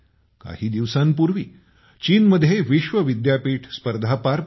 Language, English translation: Marathi, A few days ago the World University Games were held in China